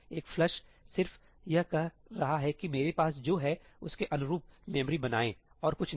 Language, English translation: Hindi, A ëflushí is just saying ëmake the memory consistent with what I haveí, that is all; nothing else